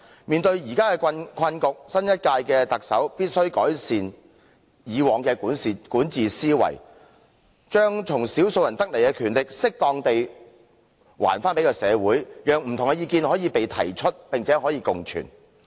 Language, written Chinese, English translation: Cantonese, 面對現時的困局，新一屆特首必須改善以往的管治思維，把小數人的權力適當地歸還社會，讓不同的意見可被提出，並可共存。, Beset by this predicament the new Chief Executive must progress from the mindset of the past administration suitably return the power grasped by a small number of people to the general public and allow different opinions to be voiced out and to co - exist